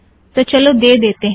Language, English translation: Hindi, So lets give this